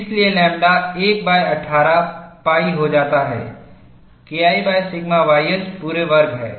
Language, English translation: Hindi, Hence, lambda becomes 1 by 18 pi, K 1 by sigma ys whole squared